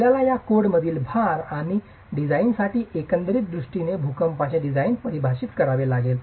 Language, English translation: Marathi, You will have to define the loads and overall approach to design, seismic design from this code